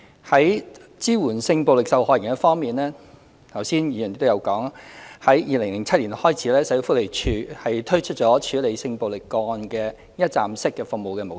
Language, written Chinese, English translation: Cantonese, 在支援性暴力受害人方面，剛才議員亦有提到，自2007年起，社會福利署推出處理性暴力個案的一站式服務模式。, With regards to the support for sexual violence victims just now some Members have mentioned that since 2007 the Social Welfare Department SWD has launched a one - stop service centre for sexual violence cases